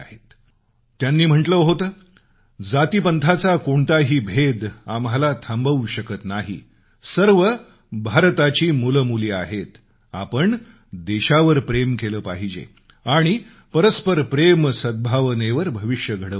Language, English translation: Marathi, He had said "No division of caste or creed should be able to stop us, all are the sons & daughters of India, all of us should love our country and we should carve out our destiny on the foundation of mutual love & harmony